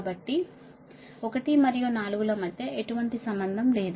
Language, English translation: Telugu, so there is no connection between one and four